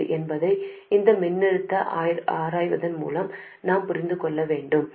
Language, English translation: Tamil, We can also understand that by examining this voltage